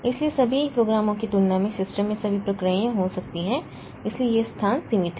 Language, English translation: Hindi, So, compared to all the programs, all the processes that the system can have, so this space is limited